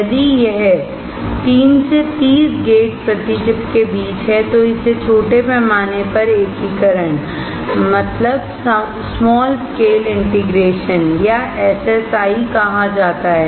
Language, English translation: Hindi, If it is between three to thirty gates per chip it is called small scale integration or SSI